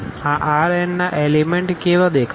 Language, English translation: Gujarati, How the elements of this R n looks like